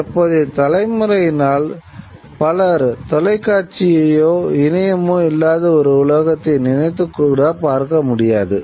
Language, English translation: Tamil, Many of the people of the present generation cannot possibly conceive of a world where the television or the internet are not there